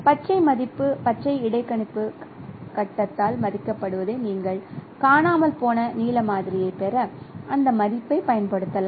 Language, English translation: Tamil, So the green, what is estimated by the green interpolation stage, you can use that value to get the blue missing blue sample